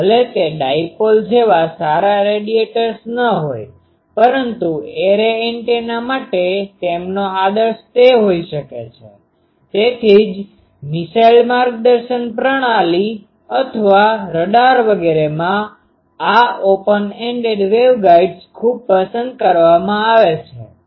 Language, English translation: Gujarati, And even if they are not good radiators like dipole, but for array antenna their ideal can be there that is why, in missile guidance system or radars etc